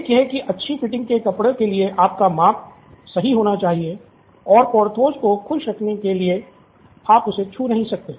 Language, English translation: Hindi, So to speak, for good fitting clothes your measurements have to be perfect and to keep Porthos happy, you cannot touch him